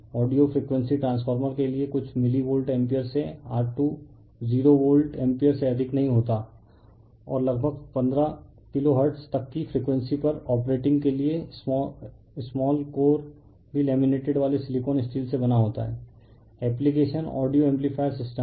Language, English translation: Hindi, For audio frequency transformers rated from a few milli Volt ampere to not more than your 20 Volt ampere, and operating at frequencies up to your about 15 kiloHertz the small core is also made of laminated silicon steel application audio amplifier system